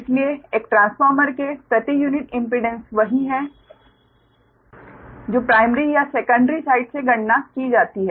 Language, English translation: Hindi, therefore, per unit impedance of a transformer is the same, whether co, whether computed from primary or secondary side